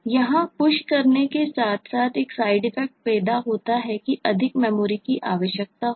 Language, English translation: Hindi, push here as well will create a side effect that more memory is required